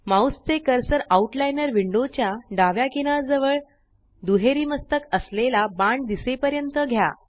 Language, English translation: Marathi, Move your mouse cursor to the left edge of the Outliner window till a double headed arrow appears